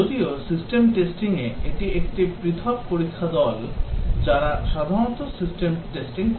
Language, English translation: Bengali, Whereas, in the system testing it is a separate test team w hich typically does the system testing